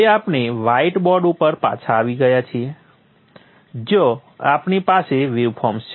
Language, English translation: Gujarati, We are now back again to the white board where we have the waveforms